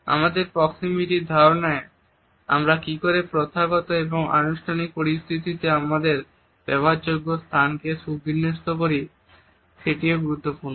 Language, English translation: Bengali, In our understanding of proximity, the way we arrange our space which is available to us in a formal or an informal setting is also important